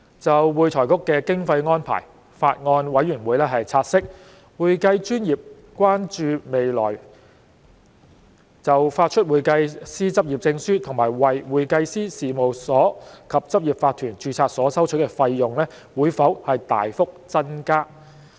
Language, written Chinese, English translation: Cantonese, 就會財局的經費安排，法案委員會察悉，會計專業關注未來就發出會計師執業證書和為會計師事務所及執業法團註冊所收取的費用會否大幅增加。, As regards the funding mechanism of AFRC the Bills Committee notes that the accounting profession has expressed concern about whether there will be a surge in fees for the issue of practising certificate for CPAs and registration of CPA firms and corporate practices